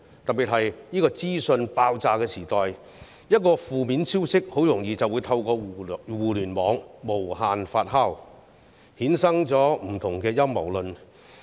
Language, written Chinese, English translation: Cantonese, 特別是在這個資訊爆炸的時代，一個負面消息很容易透過互聯網無限發酵，衍生不同的陰謀論。, In this era of information explosion in particular a piece of negative news can easily be hyped on the Internet and give rise to various conspiracy theories